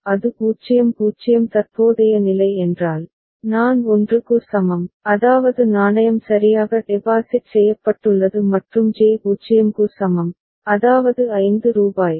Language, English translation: Tamil, And if it is 0 0 current state that is state a, I is equal to 1 that means, the coin has been deposited right and J is equal to 0 that means, rupees 5